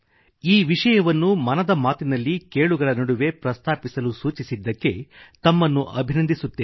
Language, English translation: Kannada, Manishji, I appreciate you for bringing this subject among the listeners of Mann Ki Baat